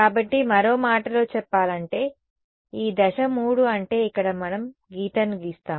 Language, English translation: Telugu, So, in other words this step 3 is where we draw the line here is where we draw the line